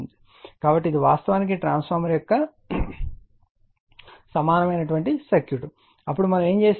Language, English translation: Telugu, So, this is actually equivalent circuit of the transformer, then what we did